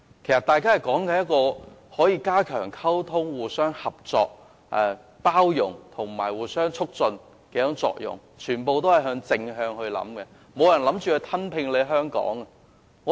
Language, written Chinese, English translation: Cantonese, 他們的重點是加強溝通、互相合作、包容及發揮互相促進的作用，想法十分正面，沒有人表示打算吞併香港。, Their focus was on enhanced communication mutual cooperation inclusion and achieving mutual facilitation . Their mindset was very positive and nobody expressed any intention to annex Hong Kong